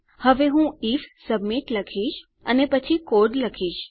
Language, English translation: Gujarati, Now I will say if submit and then our code